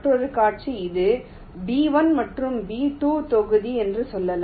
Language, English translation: Tamil, the other scenario is: let say this is the block b one and b two